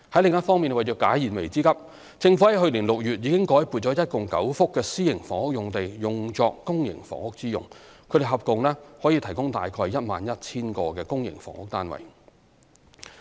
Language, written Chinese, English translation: Cantonese, 另一方面，為解燃眉之急，政府在去年6月已改撥共9幅私營房屋用地作公營房屋之用，合共可提供約 11,000 個公營房屋單位。, On the other hand to provide immediate relief the Government converted nine private housing sites for public housing use last June capable of producing about 11 000 public housing units in total